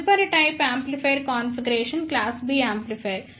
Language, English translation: Telugu, The next type of amplifier configuration is class B amplifier